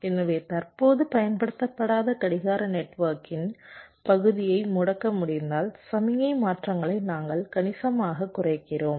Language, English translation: Tamil, so if we can disable the part of clock network which is not correctly being used, we are effectively reducing the signal transitions quite significantly